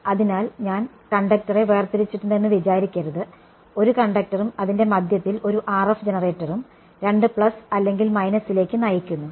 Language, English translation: Malayalam, So, don’t think that I have split the conductor its one conductor and in the middle as connected one RF generator both the leads to it plus and minus